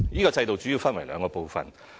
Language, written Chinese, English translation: Cantonese, 該制度主要分為兩個部分。, The declaration system mainly comprises two parts